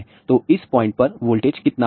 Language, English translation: Hindi, So, what will be the voltage at this point